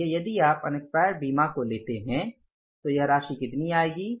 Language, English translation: Hindi, So, if you take the unexpired insurance, this amount will come up as how much